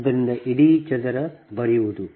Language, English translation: Kannada, so writing as a whole: square right